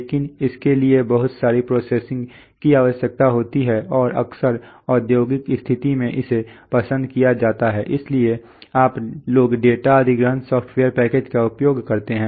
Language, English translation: Hindi, But this requires lot of programming and often in an industrial situation is not preferred, so you people use data acquisition software packages